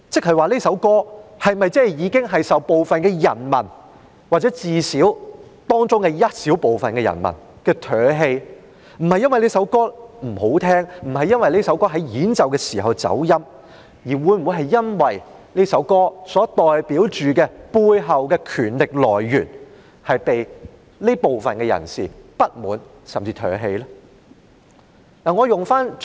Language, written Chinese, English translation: Cantonese, 是這首歌已經遭到部分人民或至少當中一小部分人民唾棄。不是因為這首歌不動聽，不是因為這首歌演奏的時候走音，而是因為這首歌所代表的背後權力來源令這些人感到不滿，甚至被他們唾棄。, It means that this song is spurned by some people or at least a small number of people not because this song is not pleasing to the ear or it is played out of tune but because the power represented by or behind this song has aroused discontent among the people and is even spurned by the people